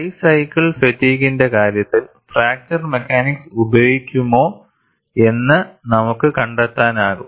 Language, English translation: Malayalam, In the case of high cycle fatigue, we could find out whether fracture mechanics be used